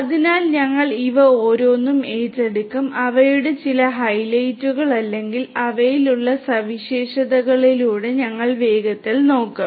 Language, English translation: Malayalam, So, we will take up each of these and we will just quickly we will glance through some of their highlights or the features that they have